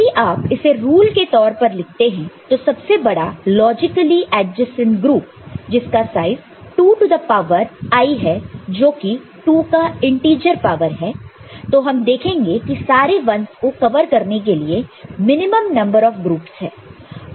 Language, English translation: Hindi, So, whenever … if you put it in the form of a rule; so, largest logically adjacent group of size 2 to the power i that is integer power of 2 we shall see, minimum number of all groups to cover all ones, ok